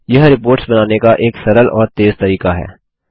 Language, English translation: Hindi, This is an easy and fast option to build reports